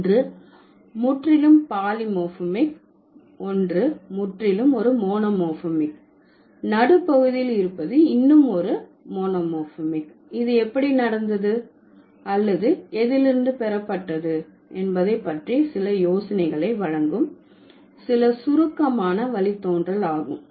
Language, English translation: Tamil, One is purely polymorphemic, one is purely monomorphic, the middle one is monomorphic yet it would give you some information, some idea about how it has happened or what it has been derived from in case there has been some abstract derivation